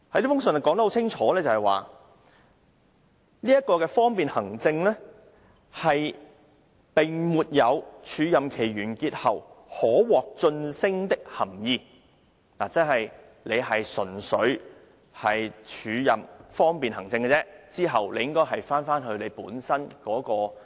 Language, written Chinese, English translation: Cantonese, 該覆函清楚說明，方便行政的署任並沒有署任完結後可獲晉升的含義，有關人員在署任期過後便回到本身的職位。, The letter explained clearly that acting for administrative convenience does not imply a promotion upon completion of the acting appointment . The officer concerned will return to his original position once the acting period is over